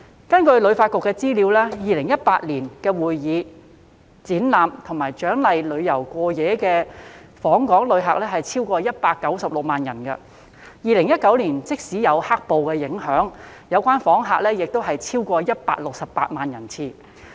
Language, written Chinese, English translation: Cantonese, 根據香港旅遊發展局的資料 ，2018 年的會議、展覽及獎勵旅遊過夜的訪港旅客超過196萬人次 ，2019 年即使有"黑暴"的影響，有關訪客人數亦超過168萬人次。, According to the information of the Hong Kong Tourism Board the number of overnight MICE arrivals in Hong Kong exceeded 1.96 million in 2018 and the number of such visitors still exceeded 1.68 million in 2019 despite the impact of black - clad riots